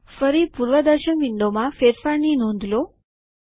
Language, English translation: Gujarati, Again notice the change in the preview window